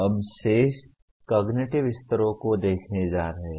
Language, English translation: Hindi, We are going to look at the remaining cognitive levels